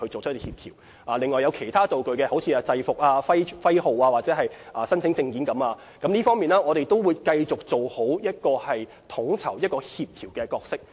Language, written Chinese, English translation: Cantonese, 至於其他道具，例如制服、部門徽號或證件等，我們亦會繼續做好統籌、協調角色。, As for other props such as uniforms logos or identity cards of departments we will continue to facilitate and assist such matters